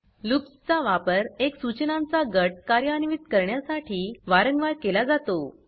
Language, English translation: Marathi, Loops are used to execute a group of instructions repeatedly